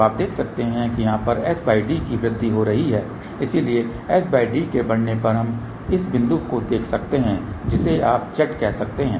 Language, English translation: Hindi, So, one can see that here s by d is increasing, so as s by d increases what we can see at this point you can say Z